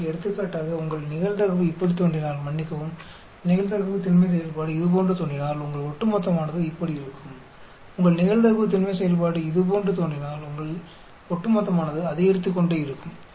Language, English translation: Tamil, So, for example, if your probability looks like this, sorry probability density function looks like this your cumulative will look like this, if your probability density function will look like this cumulative will keep on increasing